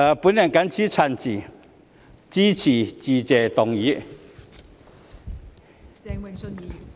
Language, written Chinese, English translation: Cantonese, 我謹此陳辭，支持致謝議案。, I so submit and support the Motion of Thanks